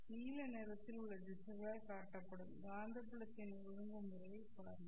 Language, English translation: Tamil, Look at the orientation of the magnetic field lines which are shown by the directions in blue color